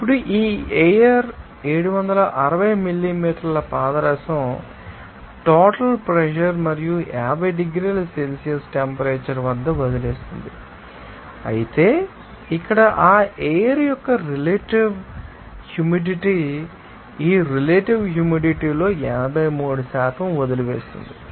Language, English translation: Telugu, Now, this air leaves the dryer at 760 millimeter mercury, total pressure and temperature of 50 degrees Celsius, but here the relative humidity of that, you know, air leaves of 83% of this relative humidity